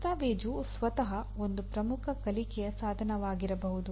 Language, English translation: Kannada, Documentation itself is a/can be a major learning tool